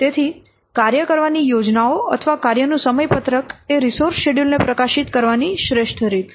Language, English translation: Gujarati, So, work plans or the work schedules are the best ways of publishing the schedules, the resource schedules